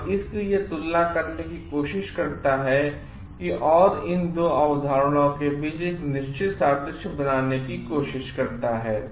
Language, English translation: Hindi, And so, the it tries to compare and tries to draw certain analogy between these 2 concepts